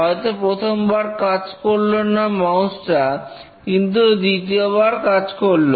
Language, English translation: Bengali, Maybe the mouse did not work but next time the mouse worked and so on